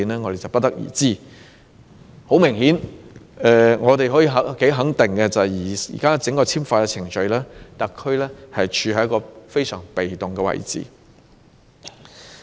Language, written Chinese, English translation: Cantonese, 我們不得而知，但很明顯可以肯定的是，在現行整個簽發程序中，特區政府是處於一個非常被動的位置。, We know nothing about it but very obviously the SAR Government has certainly been put in a rather passive position in the entire issuing procedures